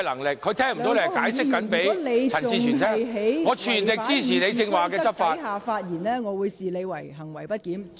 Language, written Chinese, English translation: Cantonese, 梁國雄議員，如果你仍然在違反《議事規則》的情況下發言，我會視之為行為不檢。, Mr LEUNG Kwok - hung if you still speak in contravention of the Rules of Procedure I will treat your act as disorderly conduct